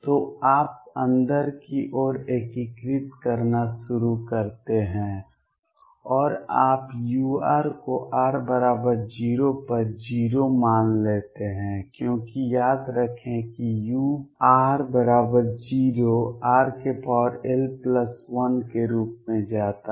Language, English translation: Hindi, So, you start integrating inward and you also take u r to be 0 at r equals 0 because recall that u near r equals 0 goes as r raise to l plus 1